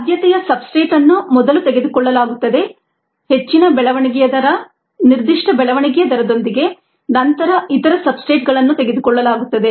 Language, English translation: Kannada, the preferred substrate gets a taken up first, with a typically higher growth rate, specific growth rate, followed by the other substrate